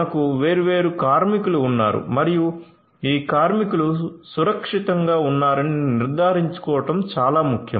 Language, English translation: Telugu, So, we have these different workers and it is very important to ensure that these workers are safe and they are secured right